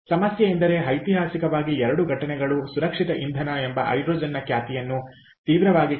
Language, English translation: Kannada, the problem is there are historically two incidents that are severely tainted the reputation of hydrogen as a safe fuel